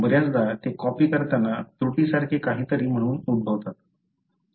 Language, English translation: Marathi, Often they are caused as something like typo during copying